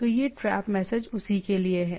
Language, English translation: Hindi, So this trap messages are for that